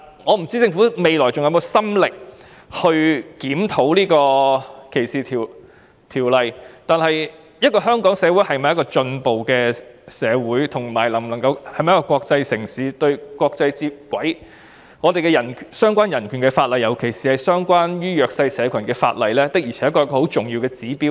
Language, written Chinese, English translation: Cantonese, 我不知道政府未來是否還有心力檢討歧視條例，但香港是否一個進步社會或國際城市，是否能夠跟國際接軌，相關的人權法例，尤其是關於弱勢社群的法例，的確是一個重要的指標。, I do not know whether the Government still has the drive to review discrimination legislations . However relevant human rights laws particularly those relating to the underprivileged groups are indeed an important indicator of whether Hong Kong is an advanced society or international city or whether Hong Kong can be brought on a par with the international community